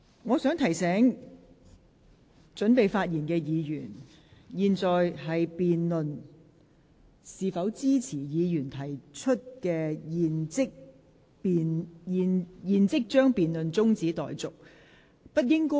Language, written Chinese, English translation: Cantonese, 我想提醒準備發言的議員，本會現在是辯論是否支持由毛孟靜議員提出"現即將辯論中止待續"的議案。, I wish to remind Members who intend to speak that this Council is now debating the question of whether the motion moved by Ms Claudia MO that the debate be now adjourned should be supported